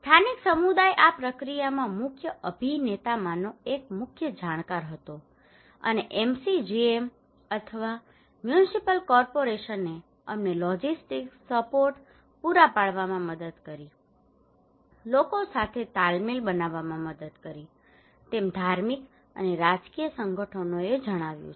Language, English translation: Gujarati, Local community was the key Informant one of the main actor in this process and MCGM or Municipal Corporations also helped us providing logistics support, helping in building rapport with the people, facilitative say religious and political organizations